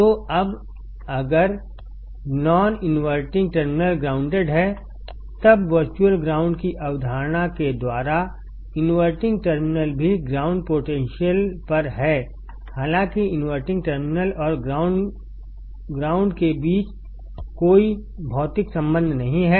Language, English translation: Hindi, So, now if the non inverting terminal is grounded; then by the concept of virtual ground the inverting terminal is also at ground potential; though there is no physical connection between the inverting terminal and ground